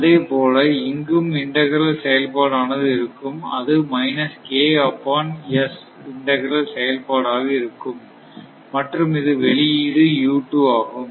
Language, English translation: Tamil, And, similarly here also integral action is there here also integral action is there that is basically minus K upon is integral action is there and this output is u 2, right